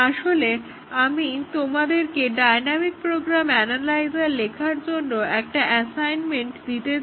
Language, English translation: Bengali, Then, we have a small tool called as a dynamic program analyzer